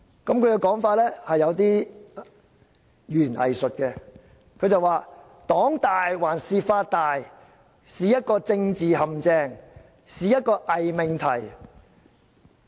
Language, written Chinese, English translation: Cantonese, 他的說法其實有一點語言"偽術"，他說："'黨大還是法大'是一個政治陷阱，是一個偽命題。, His argument was actually a kind of double - talking . He said The question of whether the ruling party or the law is superior is a political trap; it is a false proposition